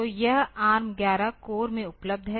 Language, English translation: Hindi, So, this is available in the ARM11 core